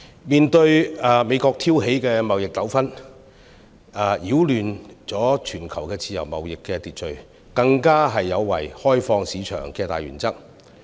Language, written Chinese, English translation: Cantonese, 美國挑起的貿易糾紛擾亂了全球自由貿易的秩序，更有違開放市場的大原則。, The trade disputes provoked by the United States have disrupted the order of global free trade and even violated the principle of open market